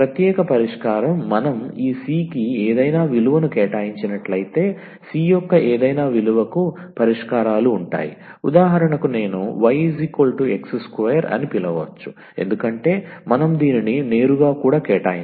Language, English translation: Telugu, Particular solution: So if we give any we assign any value to this c we can assign directly also because for any value of c has a solutions for instance if I call that y is equal to x square